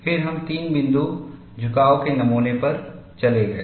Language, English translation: Hindi, Then we moved on to three point bend specimen